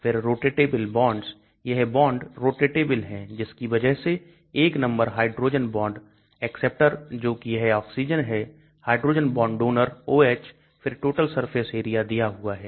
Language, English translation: Hindi, Then rotatable bonds, this bond is rotatable that is why, 1 number hydrogen bond acceptor that is this oxygen, hydrogen bond donor, the OH, then total polar surface area is given here